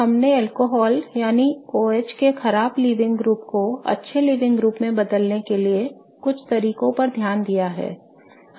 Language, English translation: Hindi, Hello, we have looked at some of the ways of converting the bad living group of an alcohol that is OH into a good living group